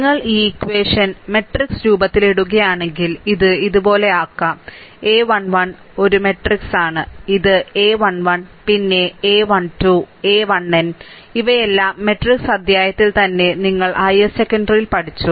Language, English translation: Malayalam, If you put this equation in the matrix form, then we can make it like this, that a 1 1 this is your this is your a matrix, this is your a matrix, it is a 1 1, then a 1 2, a 1 n these all this things little bit you have studied in your higher secondary, right in matrix chapter